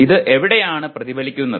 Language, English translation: Malayalam, Now what is reflection